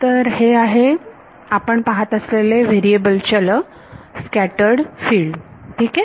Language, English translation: Marathi, So, here the variable of interest, is the scattered field ok